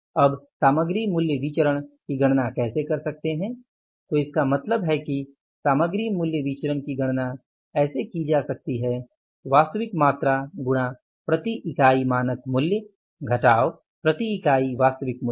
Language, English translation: Hindi, So it means material price variance can be calculated as actual quantity into standard price per unit of material, standard price per unit of material minus actual price per unit of material